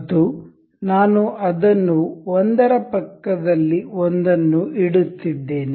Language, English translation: Kannada, And I am placing it one one beside another